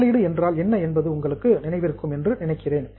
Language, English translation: Tamil, I think you remember what is an investment